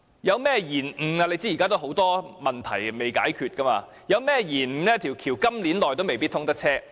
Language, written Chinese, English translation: Cantonese, 大家也知道，現時有很多問題是仍未解決的，一旦出現延誤，在今年也未必可以通車。, We know that many problems remain unresolved and once a delay occurs we may not necessarily see traffic within this year